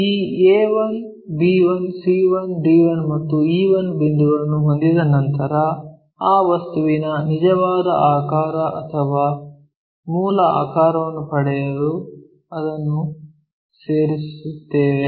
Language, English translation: Kannada, Once we have these points a, b 1, c 1, d 1 and e 1, we connect it to get the true shape or original shape of that object